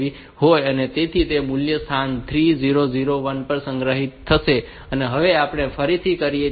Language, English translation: Gujarati, So, that value will be stored at location 3001 now we do again